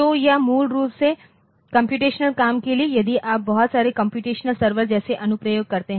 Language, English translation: Hindi, So, this is for basically computational jobs if you are there lots of computations a server type of application